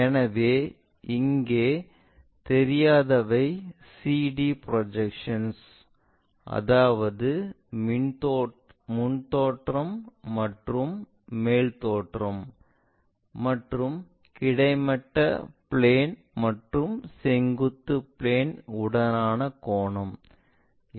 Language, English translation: Tamil, So, here unknowns are projections of CD that is our front view and top view and angles with horizontal plane and vertical plane, these are the things which are unknown